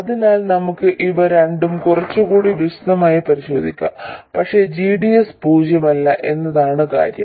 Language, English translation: Malayalam, So let's examine these two in a little more detail but the point is that GDS is not zero